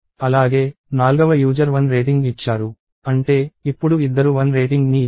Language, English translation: Telugu, Also, the 4th user gave one; which means, now there are 2 people who gave rating one